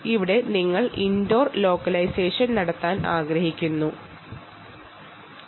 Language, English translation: Malayalam, ok, here you want to do indoor localization